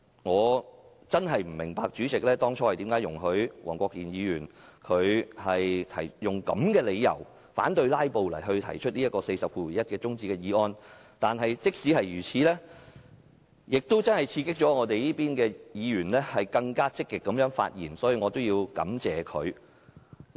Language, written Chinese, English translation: Cantonese, 我真的不明白，主席為何會容許黃國健議員以反"拉布"為由，根據《議事規則》第401條動議中止待續議案。這也刺激民主派議員更積極發言，所以我要感謝他。, I really do not understand why the President would approve Mr WONG Kwok - kin of moving an adjournment motion pursuant to RoP 401 on the ground of anti - filibustering as this would only stimulate more pro - democracy Members to speak so I must thank him for this